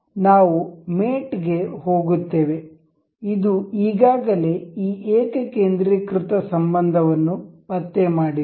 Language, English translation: Kannada, We will go to mate, it it has already detected this concentric relation